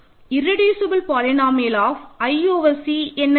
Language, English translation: Tamil, What is irreducible polynomial of i over C